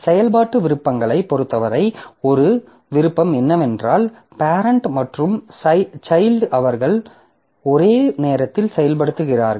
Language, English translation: Tamil, Then as far as execution options are concerned, one option is that the parent and child they execute concurrently